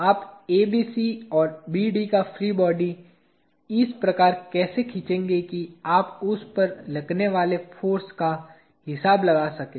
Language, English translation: Hindi, How will you draw the free body of ABC and BD, such that you account for this force acting on it